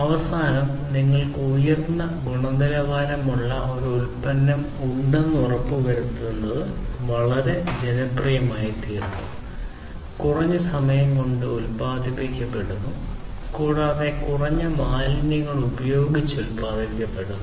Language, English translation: Malayalam, It become very popular to ensure that at the end you have a product which is of high quality produced in reduced time, and is produced, you know, it is high quality, and produced in reduced time, and is produced with minimal wastes